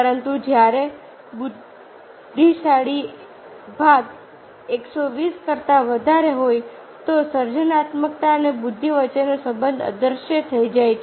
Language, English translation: Gujarati, but after, when the intelligent question is greater than one hundred twenty, the relationship between creativity and intelligence disappear